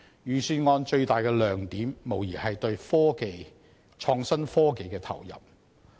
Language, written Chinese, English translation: Cantonese, 預算案最大的亮點，無疑是對創新及科技的投入。, The biggest highlight of the Budget is undoubtedly its investment in innovation and technology